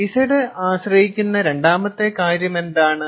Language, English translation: Malayalam, ok, all right, what was the second thing that z depend on